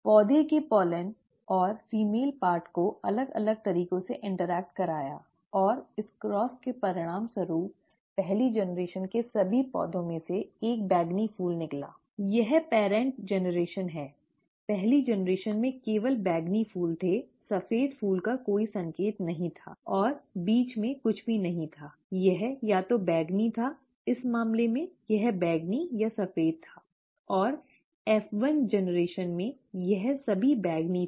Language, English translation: Hindi, The pollen from and the female part of the plant were made to interact in different ways and this cross resulted in a purple flower in all the plants of the first generation; this is the parent generation; the first generation had only purple flowers, there was no sign of the white flower at all, and there was nothing in between; it was either purple, rather in this case, it was purple or white, and in the F1 generation, it was all purple